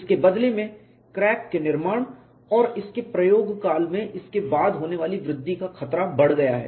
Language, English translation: Hindi, This has in turn increased the risk of crack formation and its subsequent growth in service